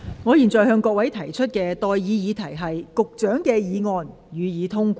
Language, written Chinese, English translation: Cantonese, 我現在向各位提出的待議議題是：發展局局長動議的議案，予以通過。, I now propose the question to you and that is That the motion moved by the Secretary for Development be passed